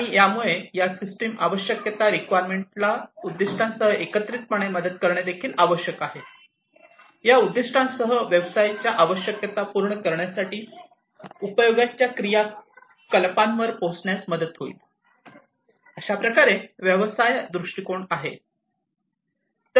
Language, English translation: Marathi, And this will also help these system requirements together with this objective the system requirement together, with this objective will help in arriving at the usage activities, for meeting the business requirements so, this is the business viewpoint